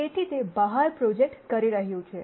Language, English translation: Gujarati, So, it is projecting out